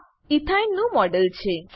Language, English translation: Gujarati, This is the model of Ethyne